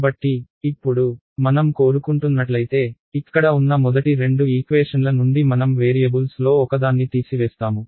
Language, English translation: Telugu, So, now, if I take I want to, from the first two equations over here let us say I want to eliminate one of the variables right